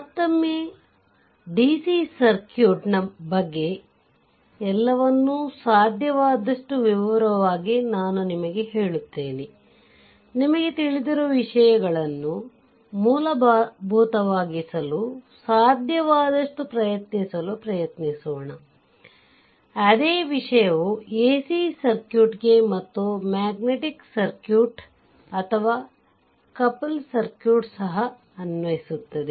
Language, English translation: Kannada, Let me tell you once again that for DC circuit, everything is being explained in detail, right, as far as possible, ah ah let us try to make things ah you know fundamentals or fundamental should be as far as possible to clear such that when same thing will apply for ac circuit and even in magnetic circuit or your couple circuit, right